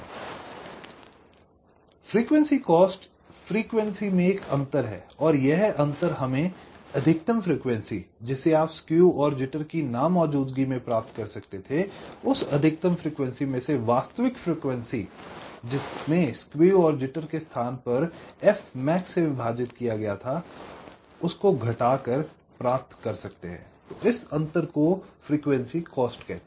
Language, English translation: Hindi, it is the difference in the frequency, the maximum frequency that you could have achieved if skew and jitter, where not present, minus the actual frequency in place of skew and jitter, divided by f max